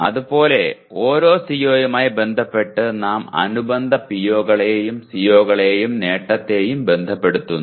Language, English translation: Malayalam, So like that with respect to every CO we associated/ associate with the corresponding POs and the attainment of CO